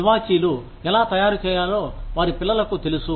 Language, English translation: Telugu, Their children know, how to make carpets